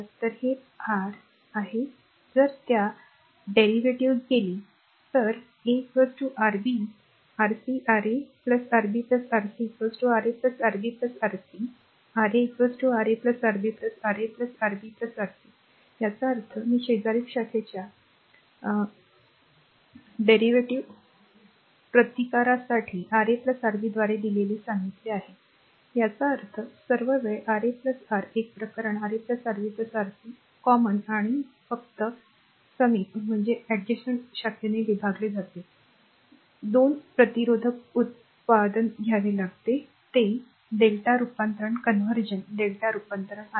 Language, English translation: Marathi, So, this is your if you go to that the derivation that R 1 look R 1 is equal to Rb, Rc, Ra plus Rb plus Rc R 2 is equal to Rc Ra ra plus Rb plus Rc; R 3 is equal to Ra Rb Ra plus Rb plus rc; that means, I told you the adjacent for adjacent branch product resistance given it by Ra plus Rb; that means, all the time your R 1, R 2, R 3 case are division by Ra plus Rb plus Rc common and only adjacent branch that 2 resistance product you have to take that is your delta to star conversion right delta to star conversion